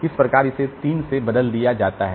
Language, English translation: Hindi, So, 1 will be replaced by this 3